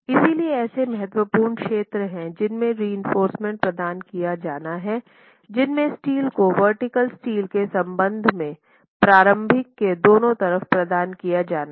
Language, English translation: Hindi, So, there are critical zones in which reinforcement has to be provided and the critical zones in which steel has to be provided with respect to the vertical steel is on either sides of the opening